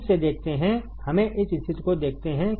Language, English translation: Hindi, See again let us see this condition